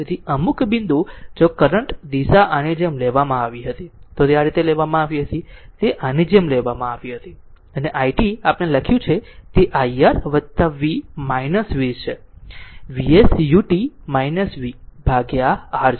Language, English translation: Gujarati, So, some point some point if you current direction was taken like this, this i t was taken like this right, i t was taken like this, and i t is equal to we wrote know, i t is equal to that is your i R plus v minus v that is your V s U t minus V divided by R minus this V divided by R